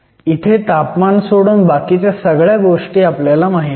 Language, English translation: Marathi, So, everything else is known except for the temperature